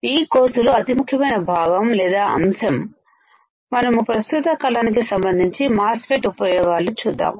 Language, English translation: Telugu, This is the important part or important chunk of the course, and we will also see an application of the MOSFET in terms of current period